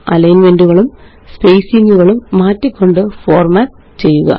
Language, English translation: Malayalam, Format the steps by changing alignments and spacing